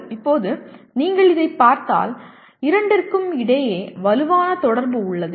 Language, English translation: Tamil, Now if you look at this there is obviously strong interaction between the two